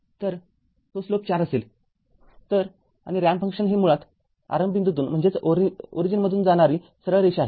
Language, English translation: Marathi, So, it will be slope is 4, so and is a ramp function is basically it is a straight line passing through the origin right